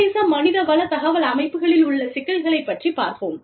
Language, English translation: Tamil, Problems with international human resource information systems